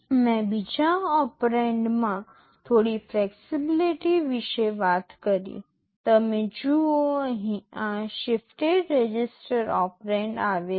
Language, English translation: Gujarati, I talked about some flexibility in the second operand, you see here this shifted register operand comes in